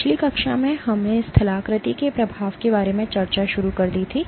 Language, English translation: Hindi, In last class, we had started discussing about effect of topography